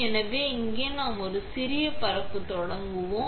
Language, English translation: Tamil, So, here we will start with a small spreading